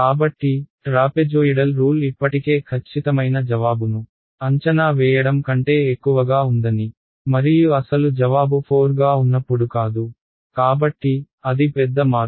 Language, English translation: Telugu, So, you can see that the trapezoidal rule is already over estimating the exact answer and not by some small amount 5 when the actual answer should be 4; so, that is the big change